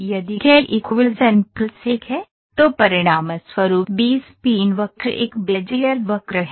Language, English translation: Hindi, If k is equal to n plus 1, then the resulting B spline curve is a Bezier curve